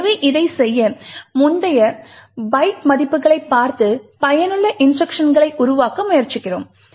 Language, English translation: Tamil, So, in order to do this, we look at the previous byte values and try to form useful instructions